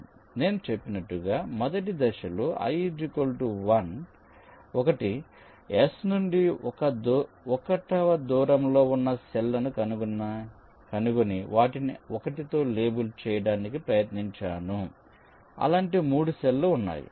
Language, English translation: Telugu, as i said, we tried to find out the cells which are at a distance of one from s and label them with one